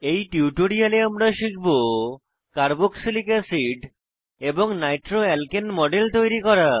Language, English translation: Bengali, In this tutorial, we will learn to * Create models of carboxylic acid and nitroalkane